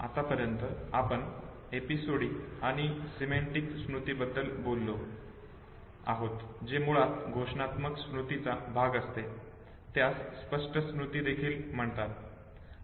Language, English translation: Marathi, Till now we have talked about episodic and semantic memory which is basically part of the declarative memory it is also called as explicit memory